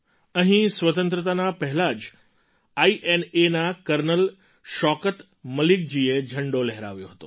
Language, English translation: Gujarati, Here, even before Independence, Col Shaukat Malik ji of INA had unfurled the Flag